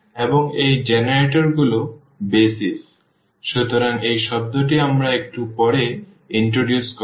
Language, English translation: Bengali, And, these generators are the BASIS are the BASIS of; so, this term we will introduce little later